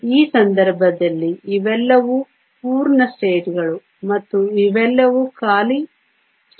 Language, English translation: Kannada, So, In this case, these are all the full states and these are all the empty states